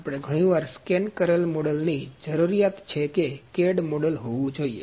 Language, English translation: Gujarati, We need to have the scanned model sometimes or the cad model has to be there